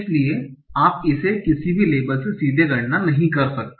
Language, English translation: Hindi, So you cannot compute it directly from any labels